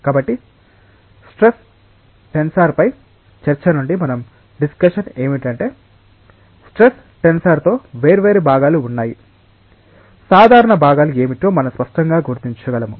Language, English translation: Telugu, So, what we sum up from the discussion on that the stress tensor is that the stress tensor has different components, we can clearly identify which are the normal components